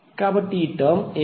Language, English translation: Telugu, So what was the term